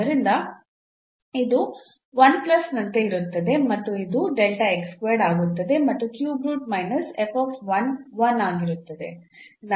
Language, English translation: Kannada, So, it will be like 1 plus and this will become delta x square and the cube root minus f 1 will be 1